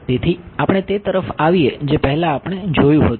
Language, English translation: Gujarati, So, before we come to that what we have seen